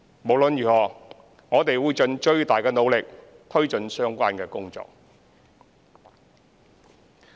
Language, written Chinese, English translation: Cantonese, 無論如何，我們會盡最大努力推進相關工作。, In any case we will make the utmost effort to take forward the relevant work